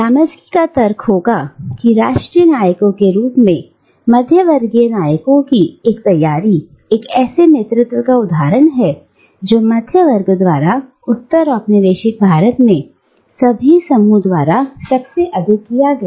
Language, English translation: Hindi, And, Gramsci would argue that such ready acknowledgement of middle class heroes as national heroes, is an example of the hegemony that the middle class has exercised in postcolonial India over all other groups of people